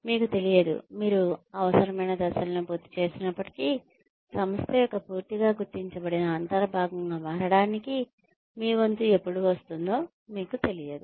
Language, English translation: Telugu, You do not know, even if you complete the necessary steps, you do not know, when your turn will come, to become a part of fully recognized, integral part of the organization